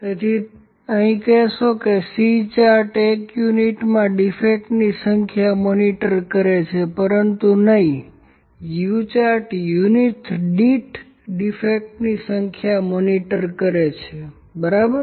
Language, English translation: Gujarati, So, here as like you can say that C chart monitors the number defects in one unit, but U chart monitors or track the number defects per unit, u chart monitors number of defects per unit, ok